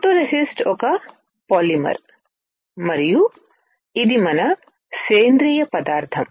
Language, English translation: Telugu, Photoresist is a polymer and is a solid organic material